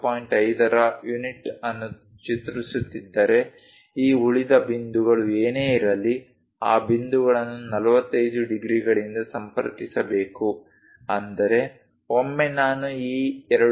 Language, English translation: Kannada, 5, whatever these leftover points, those points has to be connected by 45 degrees that means, once I identify this 2